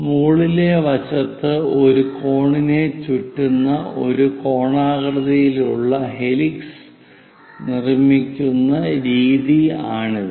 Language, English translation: Malayalam, This is the way we construct a conical helix winding a cone on the top side